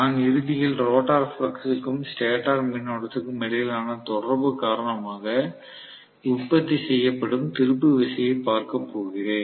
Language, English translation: Tamil, And I am ultimately going to look at the torque produced because of the interaction between the rotor flux and maybe the stator current